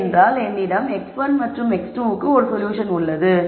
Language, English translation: Tamil, We have solved for x 1 and x 2, 1